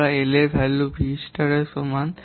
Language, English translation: Bengali, We know value of L is equal V star by V